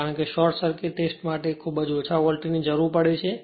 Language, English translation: Gujarati, high volt because, short circuit test it require very low voltage right